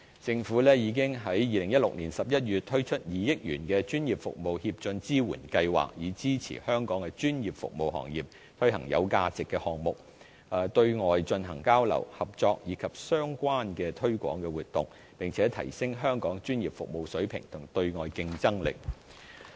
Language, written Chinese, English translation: Cantonese, 政府已於2016年11月推出2億元的專業服務協進支援計劃，以支持香港專業服務行業推行有價值的項目，對外進行交流、合作，以及相關的推廣活動，並提升香港專業服務水平及對外競爭力。, The Government already launched in November 2016 the 200 million Professional Services Advancement Support Scheme to support professional service providers in Hong Kong to carry out worthwhile projects and take part in external exchanges cooperation and related promotional activities as well as to enhance our professional service standard and their competitiveness in external markets